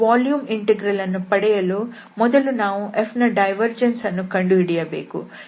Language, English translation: Kannada, So, volume integral we need to compute the divergence of F